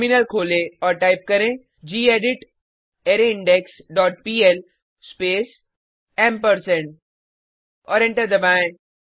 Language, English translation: Hindi, Open the terminal and type gedit arrayIndex dot pl space ampersand and press Enter